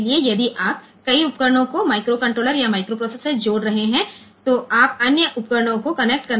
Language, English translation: Hindi, So, if you are connecting a number of devices with your say microcontroller or microcontroller of microprocessor, you want to connect some devices